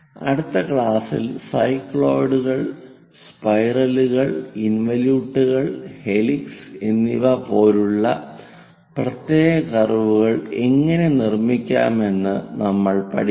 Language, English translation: Malayalam, In the next class, we will learn about how to construct the special curves like cycloids, spirals, involutes and helix